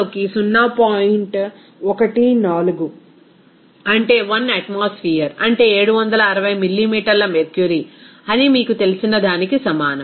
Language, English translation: Telugu, 14 into total pressure is what is that 1 atmosphere, is 760 millimeter mercury